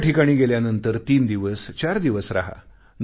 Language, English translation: Marathi, Go to a destination and spend three to four days there